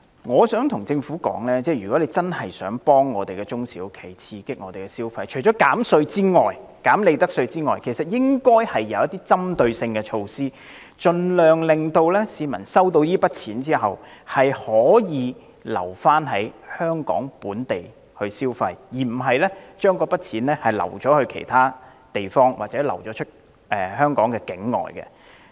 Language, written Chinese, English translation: Cantonese, 我想告訴政府，如真的想協助中小企，刺激市民消費，除寬減利得稅外還應推行針對性的措施，盡量令市民在收到這筆錢後留港作本地消費，而不是將之用於其他地方或用作境外消費。, I would like to advise the Government that if it really wishes to assist SMEs and stimulate public consumption targeted measures should be implemented in addition to offering profits tax concession so that members of the public would be encouraged to stay in Hong Kong and spend the money in the territory instead of using it elsewhere or for spending overseas